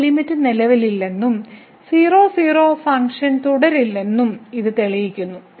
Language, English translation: Malayalam, But this proves that the limit does not exist and hence that function is not continuous at